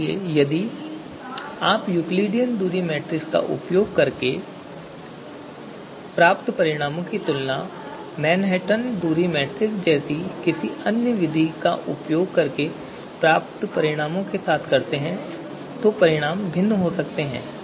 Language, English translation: Hindi, That is why you know if you compare the results that you get using the Euclidean distance metric and compare the results that you might get otherwise using the you know Manhattan distance metric so the result might be different